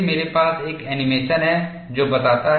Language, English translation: Hindi, I have an animation which explains that